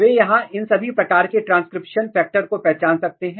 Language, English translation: Hindi, And you can see, they can identify here all these different types of transcription factor